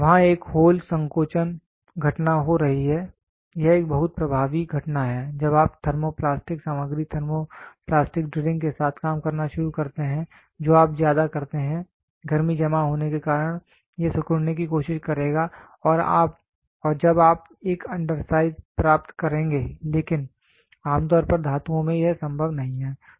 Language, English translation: Hindi, There is a hole shrinkage phenomena happening this is a very dominant phenomena when you start working with thermoplastic material thermoplastic drilling you do over because of the heat which is getting accumulated it will try to shrink and when you will get an undersized, but generally in metals it is not possible